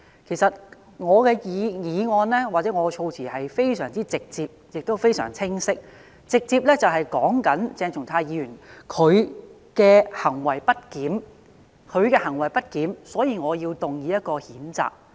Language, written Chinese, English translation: Cantonese, 其實，我的議案或措辭是非常直接及清晰的，便是直接指出鄭松泰議員的行為不檢，所以我要動議這項譴責議案。, In fact my motion or its wording is very direct and clear . It directly points out Dr CHENG Chung - tais misbehaviour and because of this I have to move this censure motion